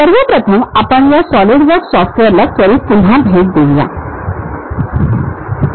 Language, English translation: Marathi, First of all let us quickly revisit this Solidworks software